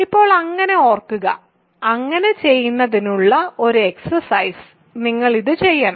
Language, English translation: Malayalam, So, now recall so, this exercise for you to do so, you have to do this